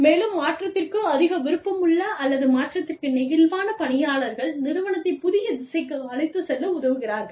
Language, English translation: Tamil, And, people, who are more willing, or open to change, or more flexible to change, will help the organization, move in the new direction